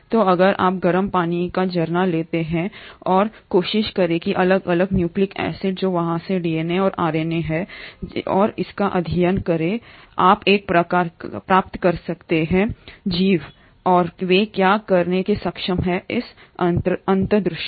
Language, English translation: Hindi, So if you take a hot water spring water and try to isolate nucleic acids which is DNA and RNA from there, and study it, you kind of get an insight into how these organisms are and what they are capable of